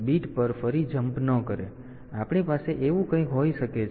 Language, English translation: Gujarati, So, we can have something like that